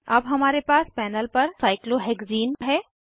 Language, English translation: Hindi, We now have cyclohexene on the panel